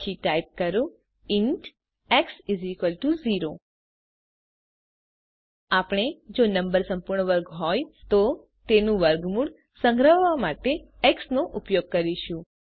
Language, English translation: Gujarati, Then typeint x = 0 We shall use x to store the square root of the number if it is a perfect square